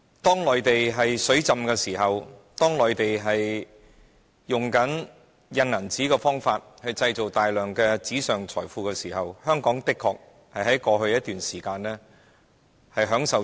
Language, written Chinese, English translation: Cantonese, 在內地資金充裕，不斷透過印鈔的方式製造大量紙上財富時，香港的確能在過去一段時間從中受惠。, As the Mainland seeks to create massive paper wealth and an abundance of capitals through the printing of more money Hong Kong has indeed been able to get some benefits